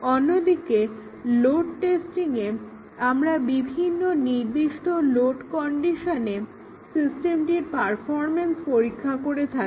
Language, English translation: Bengali, Whereas, in load testing we test the performance of the system at different specified loads